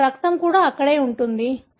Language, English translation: Telugu, His blood also would be there in the spot